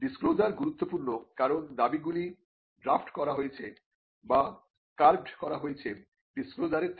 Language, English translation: Bengali, So, this the disclosure is important because the claims are drafted or carved out of the disclosure